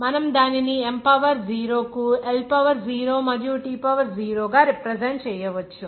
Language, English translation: Telugu, We can represent it as M to the power 0, L to the power 0, and T to the power 0